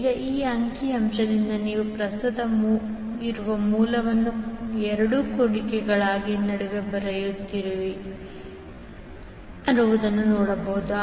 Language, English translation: Kannada, Now, from this figure you can see the current source which is there in the figure is coming between two loops